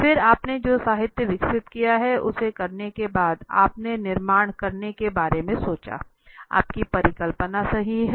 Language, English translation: Hindi, Then after doing the literature you developed, you thought of building your hypothesis right